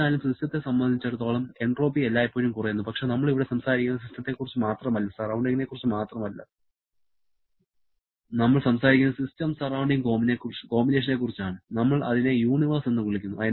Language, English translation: Malayalam, However, for the system entropy can always decrease but we are here talking not only about the system, not only about the surrounding, we are talking about the system surrounding combination which we refer as a universe